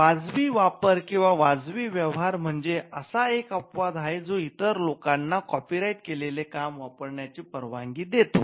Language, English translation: Marathi, Now, fair use or fair dealing is one such exception which allows people to use copyrighted work